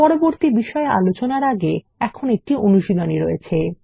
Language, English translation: Bengali, Before moving on to the next topic, here is an assignment